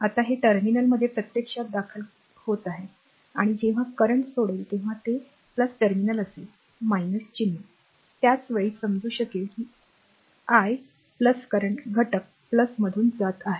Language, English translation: Marathi, Now it is actually entering the terminal and when the current is leaving the plus terminal you take minus sign, at the same time you can understand that actually the i the current is going into the element from plus